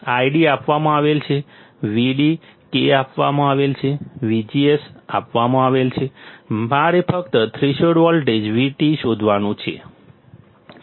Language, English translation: Gujarati, I D is given, V D, K is given, V G S is given; I have to just find out threshold voltage VT